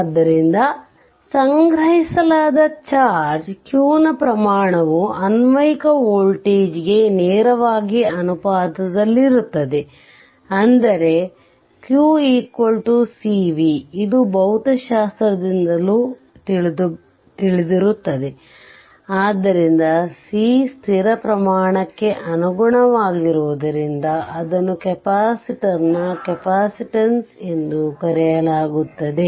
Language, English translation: Kannada, So, the amount of stored amount of charge q is directly proportional to the applied voltage v such that q is equal to c v this is you know also from your physics right, so as similarly physics